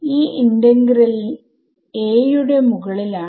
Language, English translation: Malayalam, So, when I am integrating over element a